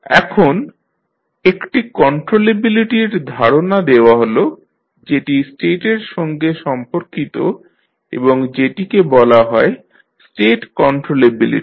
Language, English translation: Bengali, Now, the concept of an controllability given here refers to the states and is referred to as state controllability